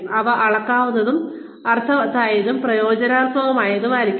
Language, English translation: Malayalam, They should be measurable, meaningful, and motivational